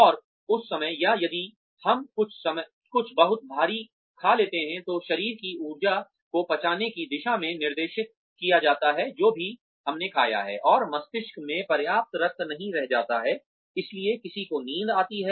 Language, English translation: Hindi, And, at that time, or if we eat something very heavy, then the body's energy is directed towards digesting whatever, we have eaten, and enough blood is not going to the brain, so one feels sleepy